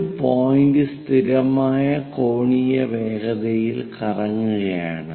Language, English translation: Malayalam, One of the point is rotating at constant angular velocity